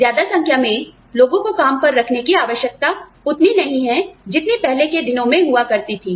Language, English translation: Hindi, The need to employ large numbers of people is not there, so much, as much as, it was in the earlier days